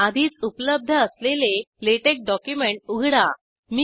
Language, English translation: Marathi, Let me open an already existing LaTeX document